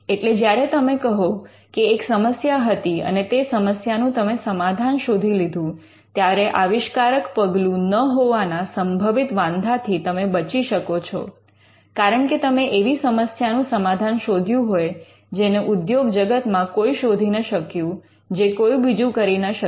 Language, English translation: Gujarati, So, when you say that there was a problem and your invention solved that problem, you could get over potential objections of inventive step, because the problem that you solved existed in the industry and no one else solved